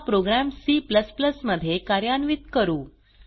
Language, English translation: Marathi, Now we will see how to execute the programs in C++